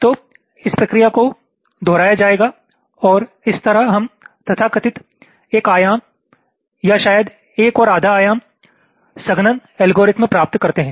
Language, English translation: Hindi, so this process will be repeated and this is how we get the so called one dimension, or maybe one and a half dimensional, compaction algorithm